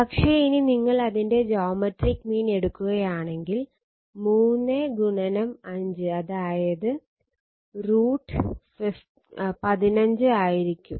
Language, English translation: Malayalam, But if you take it geometric mean, it is 3 into 5 it will be root 15 right